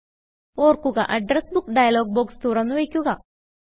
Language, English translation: Malayalam, Remember, you must keep the Address Book dialog box open